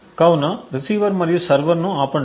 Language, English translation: Telugu, So, let us stop the receiver and the server